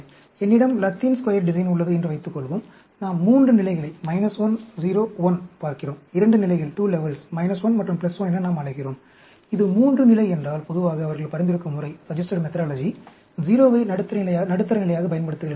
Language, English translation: Tamil, Suppose, I have a Latin Square design, and we are looking at, say 3 levels, minus 1, 0, 1; just like 2 levels, we call minus 1 and plus 1; if it is 3 level, generally, the methodology they suggest is, use 0, as the middle level